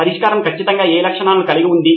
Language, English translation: Telugu, What features does the solution definitely have